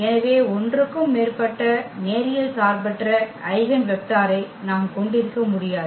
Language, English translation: Tamil, So, we cannot have more than 1 linearly independent eigenvector